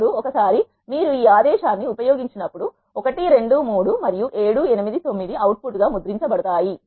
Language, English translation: Telugu, Now, once when you do this command you will say 1 2 3 and 7 8 9 will be printed as your output